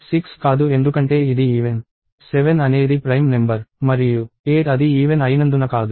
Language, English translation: Telugu, 6 is not because it is even; 7 is a prime number and 8 is not because it is even